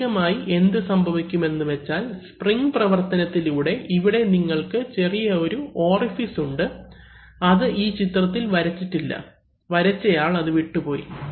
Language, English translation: Malayalam, So initially what happens is that, by this spring action you see here there is actually a small orifice which is not drawn in the diagram, the person who drew it missed it